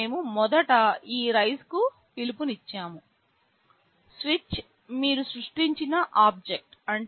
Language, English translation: Telugu, Here we have first made a call to this rise, switch is the object you have created